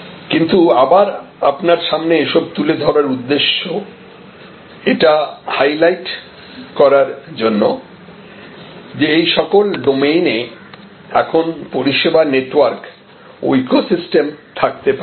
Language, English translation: Bengali, But, the purpose of putting this again in front of you is to highlight that all these domains are now open to service networks and service ecosystems